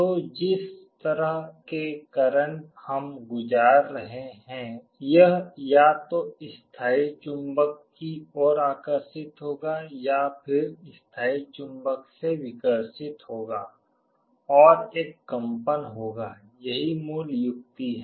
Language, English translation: Hindi, So, it will either be attracted towards the permanent magnet or it will be repelled from the permanent magnet depending on the kind of current we are passing, and there will be a vibration this is the basic idea